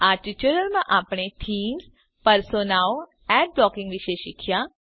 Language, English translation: Gujarati, In this tutorial, we learnt about: Themes, Personas, Ad blocking Try this assignment